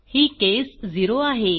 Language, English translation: Marathi, This is case 0